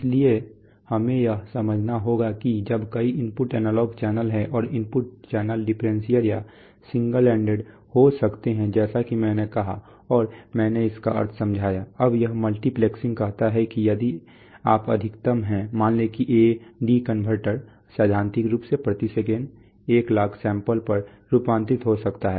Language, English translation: Hindi, So we have to understand that when there are a number of input analog channels and the input channels can be differential or single ended as I said and I explained the meaning, now that this multiplexing says that the, if you are the, that is the maximum, suppose the A/D converter can convert, let us say theoretically speaking 100,000 samples per second